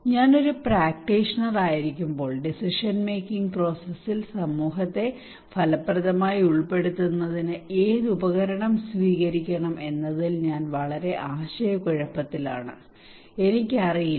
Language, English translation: Malayalam, When I am a practitioner, I am very confused which tool to take which tool to adopt in order to effectively involve community into the decision making process, I do not know